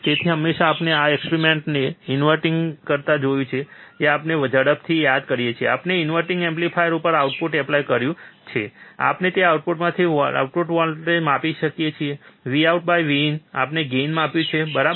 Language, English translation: Gujarati, So, for now, let us quickly recall what we have seen we have seen inverting amplifier, we have applied the input at a inverting amplifier, we measure the output from that output, V out by V in, we have measured the gain, right